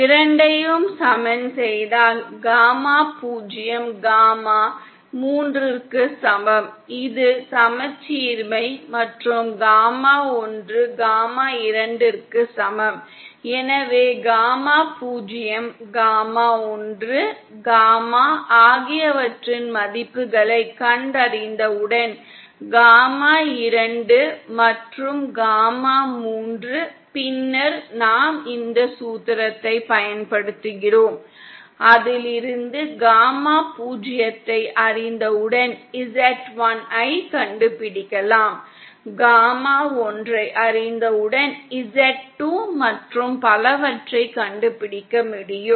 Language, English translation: Tamil, And once we equate the two, we get gamma zero is equal to gamma three, this is because of the symmetry, and gamma one is equal to gamma two, so these once we of course find out the values of gamma zero, gamma one, gamma two and gamma three, then we apply this formula, from which we can, from which once we know gamma zero then we can find out Z1, once we know gamma one we can find out Z2 and so on